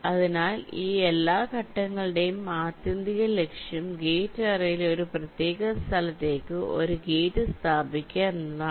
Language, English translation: Malayalam, so ultimate goal of all these steps will be to place a gate in to a particular location in the gate array